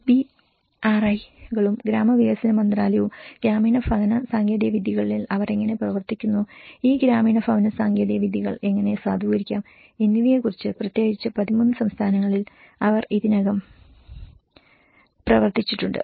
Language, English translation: Malayalam, And the CBRIs and the ministry of rural development, how they work on the rural housing technologies, how to validate these rural housing technologies and especially, in the 13 states, which they have already worked on